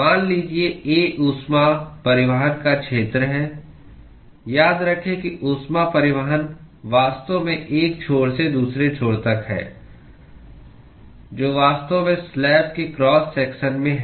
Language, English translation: Hindi, Suppose A is the area of the heat transport: remember that the heat transport is actually from one end to the other end, which is actually across the cross sections of the slab